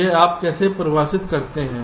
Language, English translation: Hindi, so how are they defined